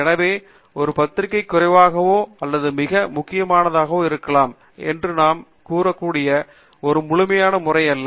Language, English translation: Tamil, So, it is not an absolute method by which we can say a journal is less or more important